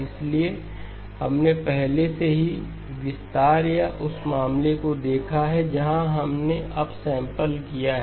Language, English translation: Hindi, So we have already looked at the expansion or the case where we have upsampled